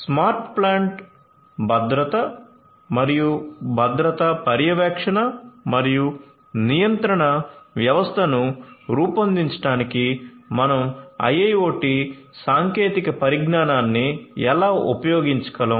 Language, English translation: Telugu, How you could use IIoT technologies to make smart plant safety and security monitoring and control system